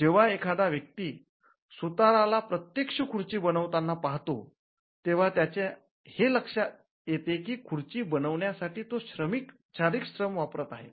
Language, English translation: Marathi, What a person gets to see when a carpenter is actually making a chair, is the fact that he is involved in human labor, what we call physical labor